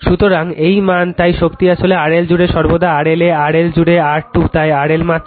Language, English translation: Bengali, So, this is the magnitude, therefore power actually across R L always across at R L in magnitude I square into R L